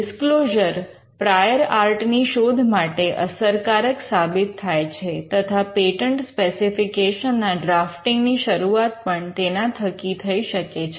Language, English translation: Gujarati, A disclosure that will enable you to do a prior art search effectively, and to start the drafting of the patent specification itself